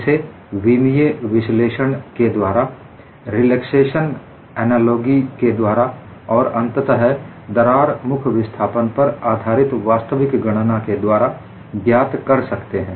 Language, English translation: Hindi, It can be done through dimensional analysis, relaxation analogy, and finally, actual calculation based on crack face displacements